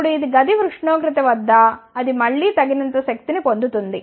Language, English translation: Telugu, Now, at room temperature it again gains sufficient energy